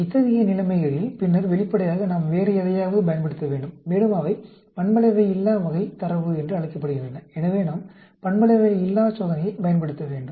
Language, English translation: Tamil, In such situations, then obviously, we need to use something else, and they are called Nonparametric type of data, and so we need to use Nonparametric test